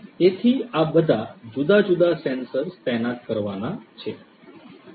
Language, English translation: Gujarati, So, all of these different sensors are going to be deployed